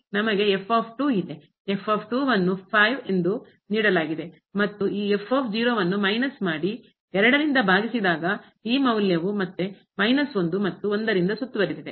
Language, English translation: Kannada, We have ; is given as and minus this divided by and this value again is bounded by minus and